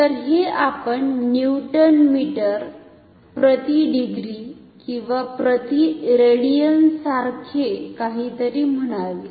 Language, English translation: Marathi, So, it may be like a new say Newton meter per degree or per radian depending on whatever unit you choose